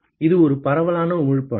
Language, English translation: Tamil, It is a diffuse emitter